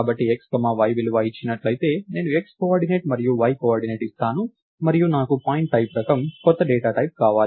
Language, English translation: Telugu, So, given a x comma y value, I give the x coordinate and y coordinate and I want a new data type of the type pointType